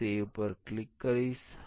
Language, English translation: Gujarati, I will click on save